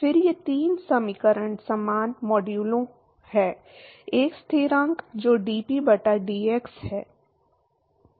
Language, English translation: Hindi, Then these three equations are similar modulo, a constant which is dP by dx